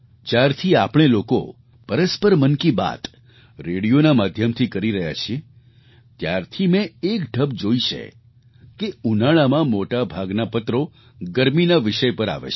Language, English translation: Gujarati, Ever since we have begun conversing with each other in 'Mann Ki Baat' through the medium of radio, I have noticed a pattern that in the sweltering heat of this season, most letters focus around topic pertaining to summer time